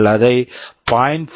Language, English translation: Tamil, If you write it as 0